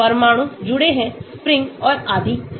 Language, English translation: Hindi, Atoms connected by springs and so on